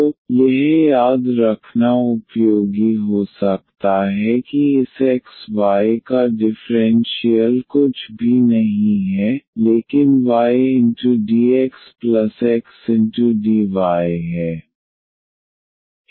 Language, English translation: Hindi, So, that could be useful to remember that the differential of this xy is nothing, but y dx plus xdy